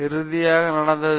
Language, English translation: Tamil, What had happened finally